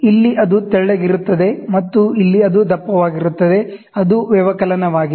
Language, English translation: Kannada, So, here it is thinner, and here it would thicker, it is subtraction